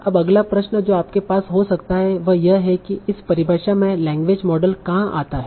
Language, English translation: Hindi, Now the next question that you might have is that where does the language model come into picture in this definition